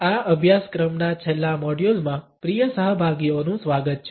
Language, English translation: Gujarati, Welcome, dear participants to the last module of this course